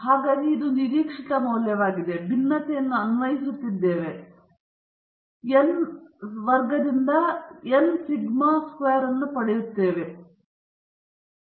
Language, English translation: Kannada, So, earlier it was the expected value, now we are applying the variance, and we get n sigma squared by n squared, which is sigma squared by n